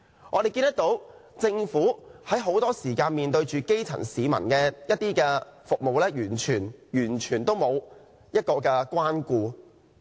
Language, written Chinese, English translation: Cantonese, 我們看到，很多時候政府對於基層市民所需的服務，完全沒有關顧。, Very often we can see that the Government shows no concern at all about the services required by the grass roots